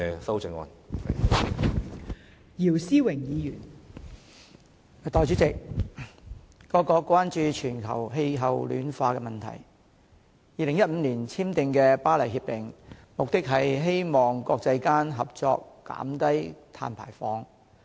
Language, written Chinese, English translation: Cantonese, 代理主席，各國關注全球氣候暖化問題 ，2015 年簽訂的《巴黎協定》，目的是希望國際間合作減低碳排放。, Deputy President global warming is a common concern of countries all over the world . The Paris Agreement was signed in 2015 with an aim to reduce carbon dioxide emission with joint effort of the international community